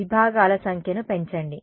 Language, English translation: Telugu, Increase the number of segments